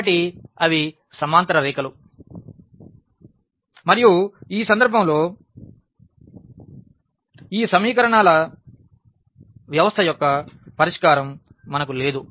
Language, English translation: Telugu, So, they are the parallel lines and in this case we do not have a solution of this given system of equations